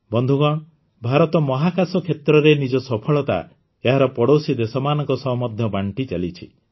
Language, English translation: Odia, Friends, India is sharing its success in the space sector with its neighbouring countries as well